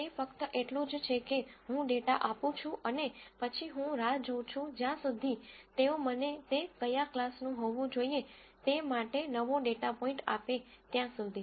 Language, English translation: Gujarati, It is just that I give the data and then I just wait till they give me a new data point, to say what class it should belong to